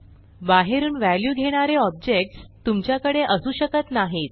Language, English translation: Marathi, You cannot have objects taking values from out side